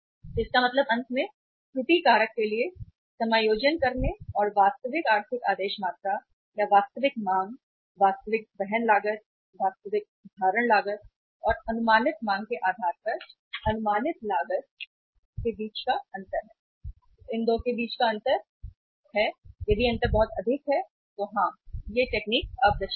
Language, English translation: Hindi, So it means finally after adjusting for the error factor and differentiating between the actual economic order quantity or the actual based upon the actual demand, actual carrying cost, actual holding cost and estimated demand estimated carrying cost estimated holding cost, the difference between these 2, if the difference is very high then yes the technique is obsolete